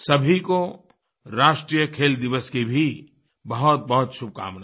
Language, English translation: Hindi, Many good wishes to you all on the National Sports Day